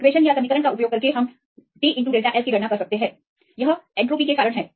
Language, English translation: Hindi, Using these equations you can calculate T into delta S; this is due to entropy